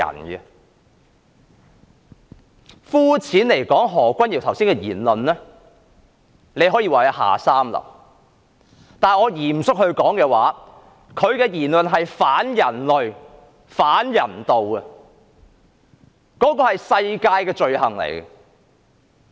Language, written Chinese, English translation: Cantonese, 說得膚淺些，何君堯議員剛才的言論可說是下三流，若我用嚴肅的說法，則他的言論是反人類和反人道的，那是普世罪行。, To put it plainly what Dr Junius HO said could be described as vulgar . And if I put it in serious terms his remarks are against human and humanity something regarded as a universal crime